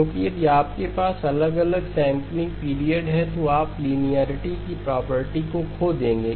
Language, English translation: Hindi, Because if you have different sampling periods then you will lose the property of linearity okay